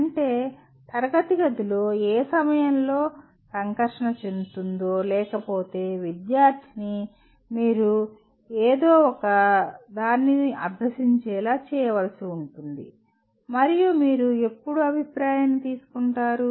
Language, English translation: Telugu, That means at what point of interaction in the classroom or otherwise you have to make student to practice something and when do you take the feedback